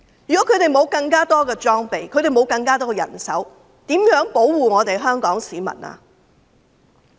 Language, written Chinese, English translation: Cantonese, 如果他們沒有更多裝備和人手，又如何保護香港市民呢？, If they do not have more equipment and manpower how can they protect the people of Hong Kong?